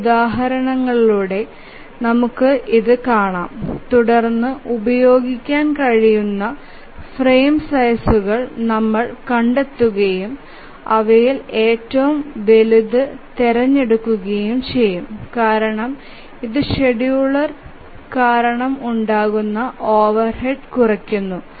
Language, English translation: Malayalam, We will see through some examples and then we find the frame sizes which can be used and then we choose the largest of those because that will minimize the overhead due to the scheduler